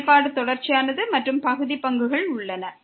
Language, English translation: Tamil, The function is continuous and also partial derivatives exist